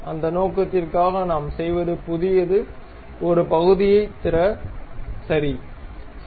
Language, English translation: Tamil, For that purpose what we do is go to new, open a part, ok